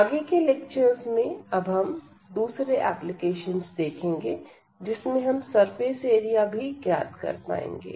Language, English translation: Hindi, In later lectures we will also see another application where we can compute the surface area as well